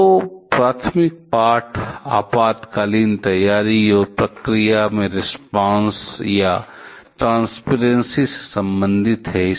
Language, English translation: Hindi, The two primary lessons are related to emergency preparedness and response and transparency in the procedure